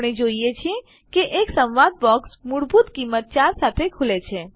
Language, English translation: Gujarati, We see that a dialog box open with a default value 4